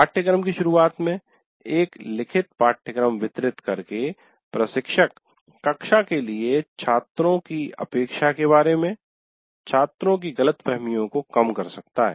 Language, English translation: Hindi, And by distributing a written syllabus at the beginning of the course, the instructor can minimize student misunderstandings about expectation for the class